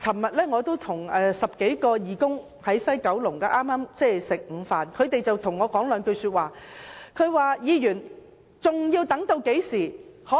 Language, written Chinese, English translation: Cantonese, 昨天我與10多名義工在西九龍午膳，他們問我："梁議員，究竟還要等到甚麼時候？, Yesterday I had lunch with 10 - odd volunteers at West Kowloon . They asked me Dr LEUNG how much longer do we have to wait?